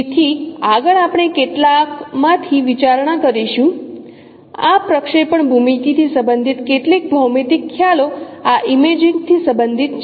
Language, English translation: Gujarati, So next we will be considering some of the geometric concepts related to this projection geometry related to this imaging